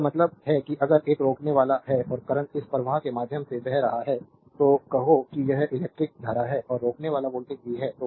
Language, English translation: Hindi, I mean if you have a resistor and current is flowing through this resistor say this current is i and across the resistor is voltage is v